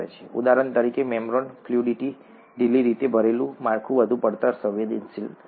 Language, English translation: Gujarati, For example, ‘membrane fluidity’; loosely packed structure will be more shear sensitive